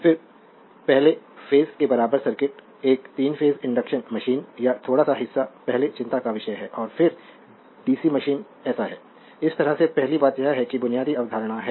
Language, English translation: Hindi, Then little bit of three phase induction machine up to your equivalent circuit as were as first year course is concern and then that dca machine right so, this way let us start first thing is that your basic concept right